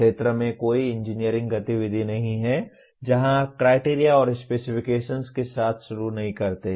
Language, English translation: Hindi, There is no engineering activity out in the field where you do not start with criteria and specifications